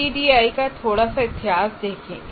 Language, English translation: Hindi, Now a little bit of history of ADI